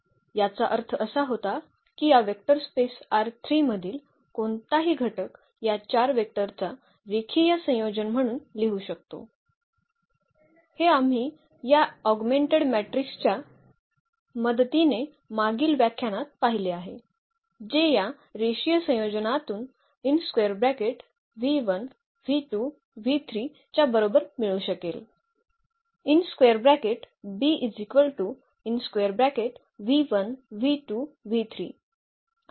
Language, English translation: Marathi, The meaning was that any element of this vector space R 3 we can write as a linear combination of these 4 vectors, this is what we have seen in previous lecture with the help of this augmented matrix which we can get out of this linear combination equal to this v 1 v 2 v 3